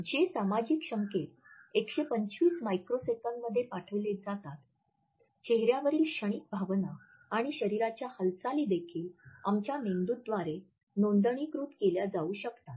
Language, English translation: Marathi, The signals which are sent in 125 microseconds, the fleeting facial expressions and body movements can also be registered by our brain